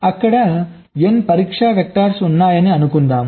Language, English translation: Telugu, lets say there are n test vectors